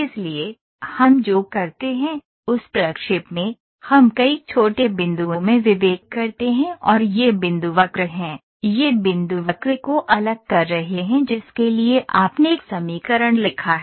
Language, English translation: Hindi, So, in interpolation what we do is, we discretize into several small points and these points are the curve, these points are discretizing the curve for which you have written an equation